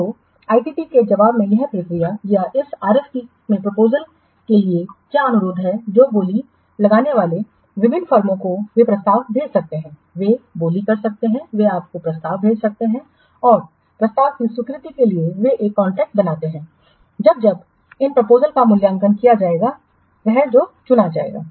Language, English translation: Hindi, So, in response to the ITT or the response or this RFP what request for proposals, then bidders, different firms they can what send offers, they can court, they can send proposals to you and acceptance of offer creates a contracts